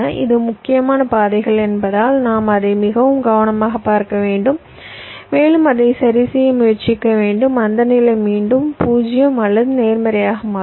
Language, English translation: Tamil, because it is the critical paths, we have to look at it very carefully and try to adjust its so that the slack again becomes zero or positive